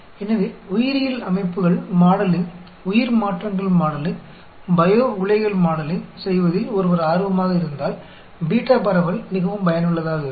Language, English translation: Tamil, So, if one is interested in modeling in biological systems, modeling bio transformations, modeling bio reactors, then beta distribution is very useful